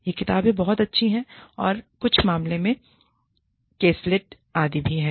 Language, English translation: Hindi, These books are very good, they have little caselets, etcetera